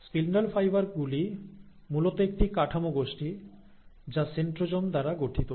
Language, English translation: Bengali, The spindle fibres are basically a set of structures which are formed by what is called as the centrosome